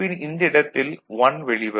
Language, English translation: Tamil, So, then this output is 1